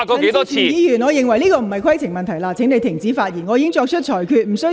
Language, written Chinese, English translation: Cantonese, 陳志全議員，這不是規程問題，請你停止發言。, Mr CHAN Chi - chuen this is not a point of order . Please stop speaking